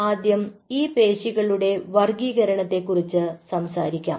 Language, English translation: Malayalam, so lets talk about the classification of the muscle